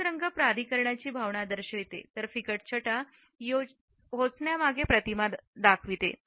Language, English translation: Marathi, A darker colors convey a sense of authority whereas, lighter shades project an approachable image